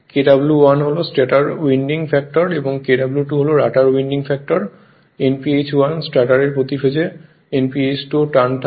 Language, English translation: Bengali, Kw1 is stator winding factor, Kw2 rotor winding factor Nph1 stator turns per phase Nph2 rotor turns per phase